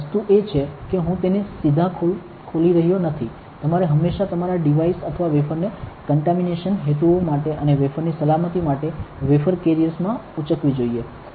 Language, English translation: Gujarati, The thing is I am not opening it directly, you should always carry your devices or wafers in wafer carriers for contamination purposes and also for safety of the wafer